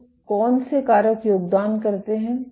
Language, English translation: Hindi, So, what the factors that do contribute